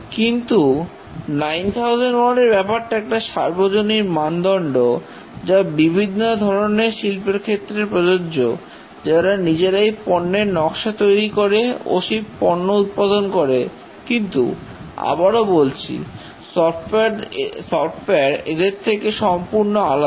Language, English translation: Bengali, But 9,001 is a very generic standard applicable to many types of industries, those who produce design and produce goods, but then software is a bit different